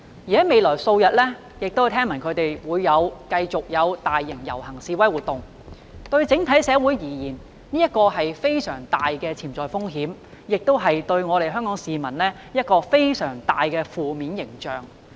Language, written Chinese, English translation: Cantonese, 我聽聞示威者會在未來數日繼續舉行大型遊行和示威活動，這對整體社會而言是非常大的潛在風險，亦對香港市民構成非常負面的形象。, I have heard that protesters will continue to hold large - scale processions and demonstrations in the next few days which will pose a huge potential risk to society as a whole and give Hong Kong people a very negative impression